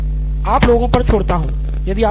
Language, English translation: Hindi, I mean I leave it to you guys